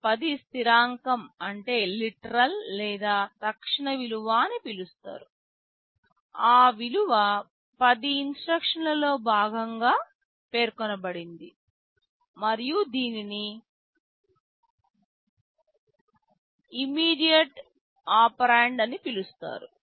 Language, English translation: Telugu, That 10 is like a constant that is called a literal or an immediate value, that value 10 is specified as part of the instruction and is called immediate operand